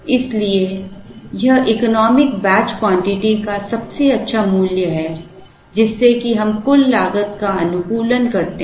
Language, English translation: Hindi, So, this is the best value of the economic batch quantity, such that we optimize the total cost